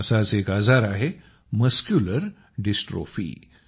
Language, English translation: Marathi, One such disease is Muscular Dystrophy